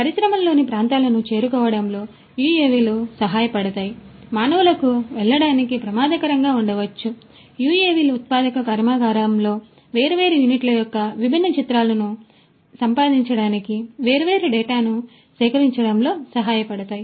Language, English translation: Telugu, UAVs could help in reaching out to areas in the industries, which could be hazardous for human beings to go UAVs could help in collecting different data for acquiring different images of different units in a manufacturing plant